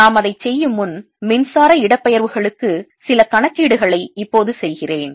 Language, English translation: Tamil, before we do that, let me now do some calculations for electric displacements so that you have an idea about what it is like